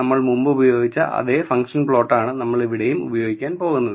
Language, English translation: Malayalam, " So, I am going to use same function plot which we have earlier used